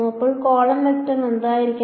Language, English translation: Malayalam, So what should the column vector be